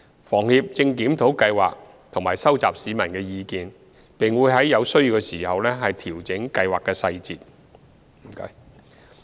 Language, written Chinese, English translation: Cantonese, 房協正檢討計劃及收集市民意見，並會在有需要時調整計劃細節。, HKHS is reviewing the Scheme and collecting views from the public and will fine - tune the operational details as and when necessary